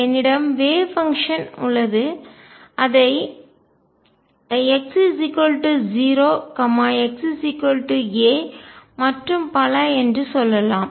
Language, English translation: Tamil, I have the wave function let us say this is x equals 0, x equals a and so on